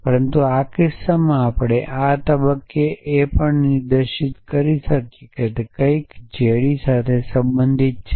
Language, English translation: Gujarati, But in this case we can also specify at this stage that it something which belongs to D